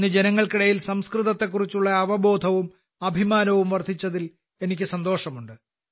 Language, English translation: Malayalam, I am happy that today awareness and pride in Sanskrit has increased among people